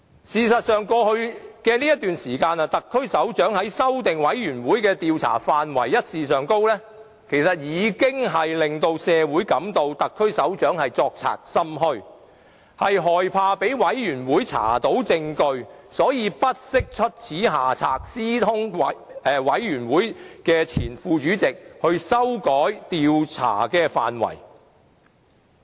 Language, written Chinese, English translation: Cantonese, 事實上，在過去的一段時間，特區首長修改專責委員會的調查範圍一事已令社會覺得特區首長作賊心虛，害怕被專責委員會查出證據，因而才會不惜出此下策，私通專責委員會前任副主席修改調查範圍。, As a matter of fact in the past period of time the incident of the head of the SAR amending the Select Committees areas of study has already given the public an impression that he has a guilty conscience . Fearing that the Select Committee might dig out evidence he acted unwisely to collude with the former Deputy Chairman of the Select Committee to amend the areas of study